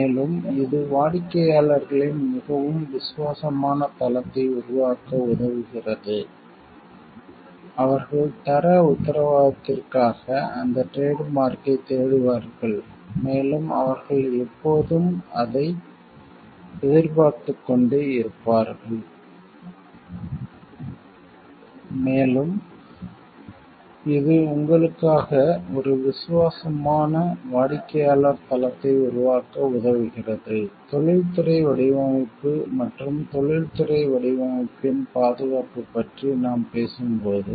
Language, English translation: Tamil, And it gives the, it helps to develop a very loyal base of customers, who will be looking for that trademark for the quality assurance, and they will all always be moving looking forward to it, and it helps to create a loyal base of customers for you; when we are talking of industrial design, and the protection of the industrial design